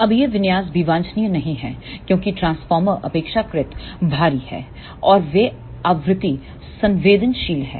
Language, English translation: Hindi, Now, this configuration is also not desirable because the transformer is relatively bulky and they are frequency sensitive